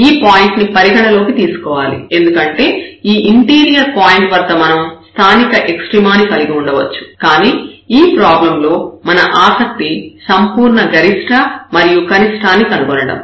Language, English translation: Telugu, So, we have to consider this point because we can have local extrema at this interior point, but in this problem we our interest is to find absolute maximum and minimum